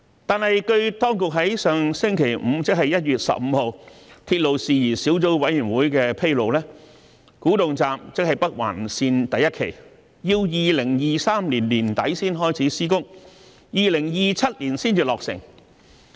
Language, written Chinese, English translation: Cantonese, 但是，據當局在上星期五的鐵路事宜小組委員會會議上披露，古洞站要待2023年年底才開始施工，並在2027年才落成。, However as disclosed by the authorities at the meeting of the Subcommittee on Matters Relating to Railways last Friday the construction of Kwu Tung Station will not commence until late 2023 and will not be completed until 2027